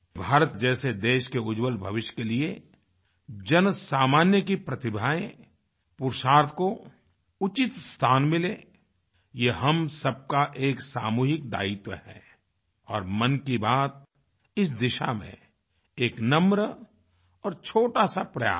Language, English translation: Hindi, For ensuring a bright future for a country such as India, it isour collective responsibility to acknowledge and honour the common man's talent and deeds and Mann Ki Baat is a humble and modest effort in this direction